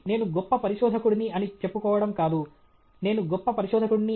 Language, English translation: Telugu, We cannot keep on claiming that I am a great researcher; I am a great researcher